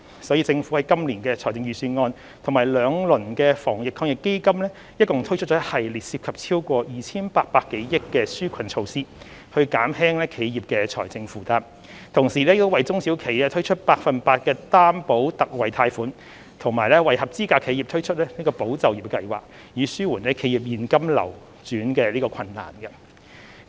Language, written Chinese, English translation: Cantonese, 所以，政府今年的財政預算案及兩輪防疫抗疫基金共推出一系列涉及超過 2,800 多億元的紓困措施，減輕企業的財政負擔，同時亦為中小企推出百分百擔保特惠貸款和為合資格企業推出"保就業"計劃，以紓緩企業現金流轉困難。, Thus in this years Budget and under the two rounds of Anti - epidemic Fund the Government has launched a series of relief measures totalling over 280 billion to alleviate the financial burden of enterprises . These include the launch of the Special 100 % Loan Guarantee for small and medium enterprises and the Employment Support Scheme for eligible enterprises to ease their cash flow difficulties